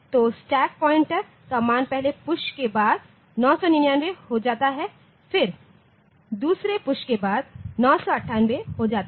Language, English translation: Hindi, So, stack pointer value after the first push the stack pointer value become 999, then after the second push it becomes 998